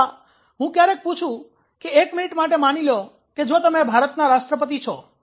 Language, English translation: Gujarati, or sometime i ask ok say for one minute if are you the president of india